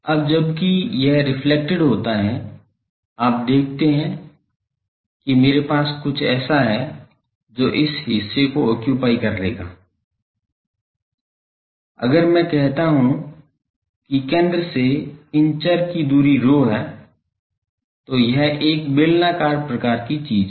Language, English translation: Hindi, Now, while it is reflected you see I have something like it will occupy the portion, if I call that the distance from the centre these variable is rho this becomes, a cylindrical type of thing